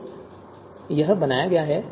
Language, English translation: Hindi, So this is created